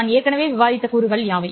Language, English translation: Tamil, What are the elements that I already have discussed